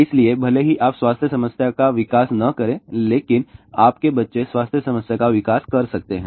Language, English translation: Hindi, So, even if you may not developed health problem, but your children may develop health problem